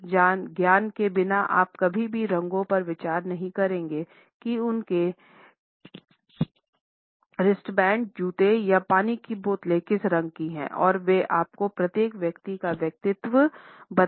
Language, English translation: Hindi, Without this knowledge you would never consider the colors of their iPods, wristbands, shoes or water bottles and what they can tell you about each person’s personality